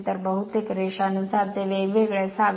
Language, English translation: Marathi, So, almost linearly it should vary